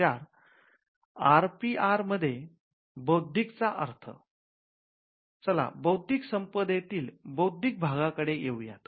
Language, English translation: Marathi, Now, let us take the intellectual part of intellectual property rights